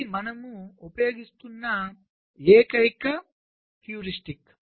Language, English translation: Telugu, that is the only heuristic you are using